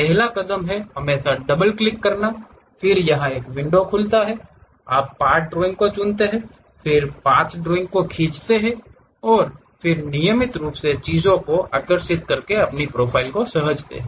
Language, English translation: Hindi, First step is always double clicking, then it opens a window, you pick part drawing, then go draw the path drawing, and then regularly save the file by drawing the things